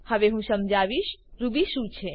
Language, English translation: Gujarati, Now I will explain what is Ruby